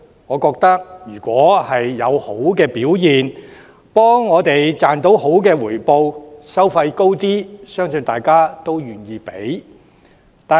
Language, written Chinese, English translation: Cantonese, 我認為，如果受託人表現理想，給我們賺取優厚回報，即使收費較貴，相信大家也願意支付。, I hold that we are willing to accept high fees charged by trustees if their performance is satisfactory and offer excellent investment returns